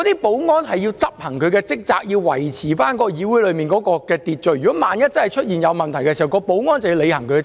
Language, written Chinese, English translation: Cantonese, 保安人員要執行他們的職責，以維持議會內的秩序，萬一出現任何問題時，保安人員須履行其職責。, Security staff are required to perform their duties of maintaining order in the legislature and they have to take action when the situation warrants